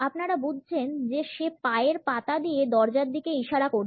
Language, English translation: Bengali, You got it, the one with his foot pointing to the door